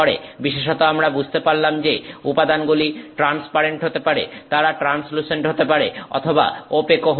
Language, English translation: Bengali, In particular we understand that materials can be transparent, they can be translucent or they can be opaque